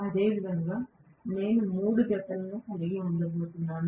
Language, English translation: Telugu, Similarly, I am going to have three pairs right